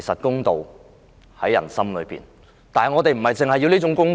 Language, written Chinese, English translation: Cantonese, 公道自在人心，但我們要的不只是公道。, Justice is in the hearts of the people . However what we want is not only justice